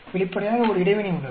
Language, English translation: Tamil, Obviously, there is an interaction